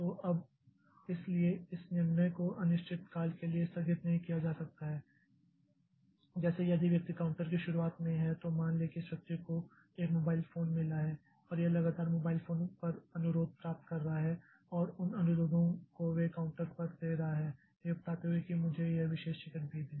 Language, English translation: Hindi, So, now, so this decision cannot be postponed indefinitely like if this fellow at the beginning of the, at the beginning of the counter, if suppose this fellow has got a mobile phone and this is continually getting request over mobile phone and those requests they are giving to the counter telling that okay give me this particular ticket also